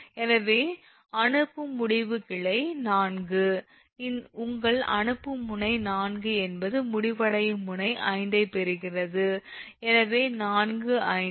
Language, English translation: Tamil, so sending end is branch four is your sending end node is four, receiving end node five